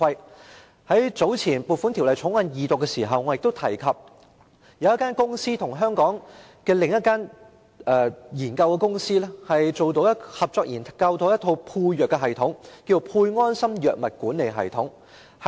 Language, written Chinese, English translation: Cantonese, 早前，我曾於《2018年撥款條例草案》二讀時提及，有香港公司合作研發了一套配藥系統，名為"配安心藥物管理系統"。, Earlier on during the Second Reading of the Appropriation Bill 2018 I mentioned that some Hong Kong companies had jointly researched and developed a medication system called SafeMed Medication Management System